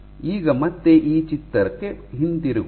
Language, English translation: Kannada, So now, again going back to this picture